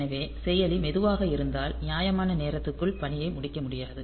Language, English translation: Tamil, So, if the processor is slow so, will not be able to complete the task within the reasonable amount of time